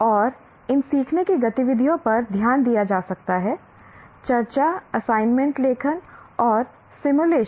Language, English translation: Hindi, And these learning activities can be note taking, discussion, assignment writing, or simulations and so on and on